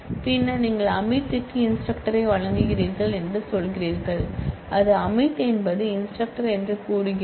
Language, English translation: Tamil, And then you are saying that you grant instructor to Amit which says that Amit now plays the role of instructor